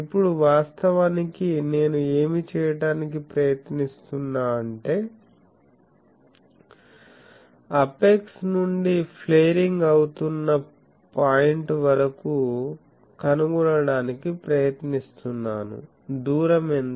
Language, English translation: Telugu, Now, actually what I am trying to do I am trying to find from the apex to the flaring point, what is the distance